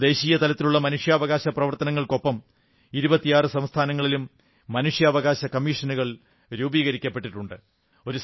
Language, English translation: Malayalam, Today, with NHRC operating at the national level, 26 State Human Rights Commissions have also been constituted